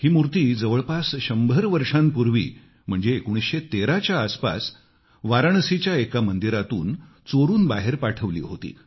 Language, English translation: Marathi, This idol was stolen from a temple of Varanasi and smuggled out of the country around 100 years ago somewhere around 1913